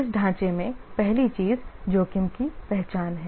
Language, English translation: Hindi, The first thing in this framework is risk identification